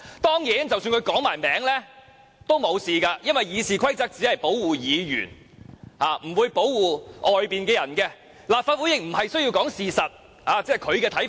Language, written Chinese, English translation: Cantonese, 即使他說出當事人名字也沒事，因為《議事規則》只保護議員，不保護外面的人，立法會也無須說事實，這只是他的看法。, It would be all right even if he named the person concerned for RoP only protects Members but not outsiders and it is not necessary to present the facts in the Legislative Council . This was only his personal opinion